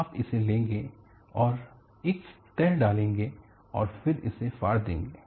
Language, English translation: Hindi, You will take it and put a fold, and then tear it